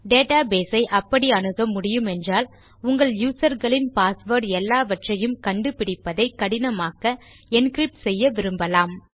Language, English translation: Tamil, Therefore if a data base can be broken into you will want every password belonging to your users to be encrypted, so that they are much harder to find